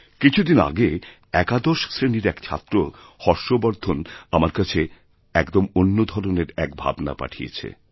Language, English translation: Bengali, Recently, Harshvardhan, a young student of Eleventh Class has put before me a different type of thought